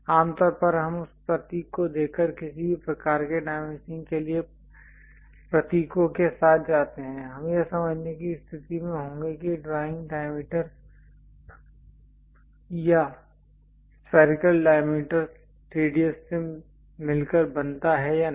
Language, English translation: Hindi, Usually we go with symbols for any kind of dimensioning by just looking at that symbol, we will be in a position to understand whether the drawing consist of diameter or spherical diameter radius and so, on